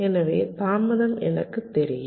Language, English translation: Tamil, so i know the delay